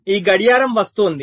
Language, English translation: Telugu, this clocks are coming